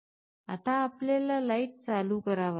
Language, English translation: Marathi, Now, we have to switch ON the light